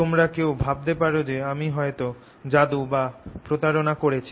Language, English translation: Bengali, some may, some of you may wonder maybe i am doing some magic or some cheating